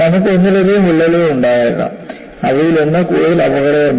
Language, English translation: Malayalam, And you can have multiple cracks, one of them may be more dangerous